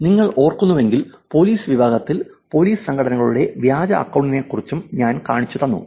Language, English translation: Malayalam, If you know remember the policing section I also showed you about the fake account of police organizations also